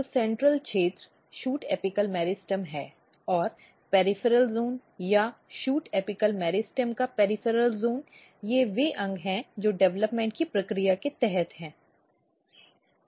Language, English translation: Hindi, So, the central region is shoot apical meristem, but if you look in the peripheral zone or peripheral region of the shoot apical meristem, these are the organs which are under the process of development